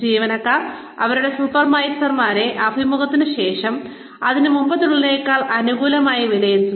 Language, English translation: Malayalam, Employees tend to evaluate their supervisors, less favorably, after the interview, than before it